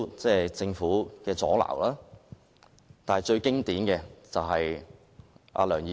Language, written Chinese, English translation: Cantonese, 除政府作出阻撓外，最經典的是梁議員。, Apart from the Governments obstruction the most classic example comes from Mr LEUNG